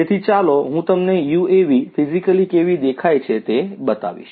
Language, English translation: Gujarati, So, let me just show you how a UAV looks physically